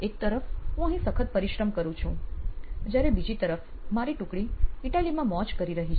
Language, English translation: Gujarati, On the right hand side is me working hard, while my team was having a good time in Italy